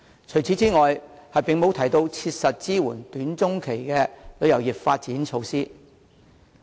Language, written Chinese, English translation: Cantonese, 此外，施政報告內也沒有提出切實的短、中期措施，支援旅遊業的發展。, Furthermore practical measures in the short and medium term are not available in the Policy Address to support the development of the tourism industry